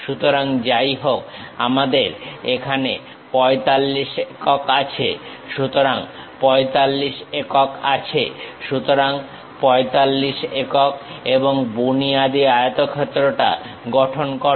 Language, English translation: Bengali, So, whatever 45 units we have here here 45 units there, so 45 units 45 units and construct the basement rectangle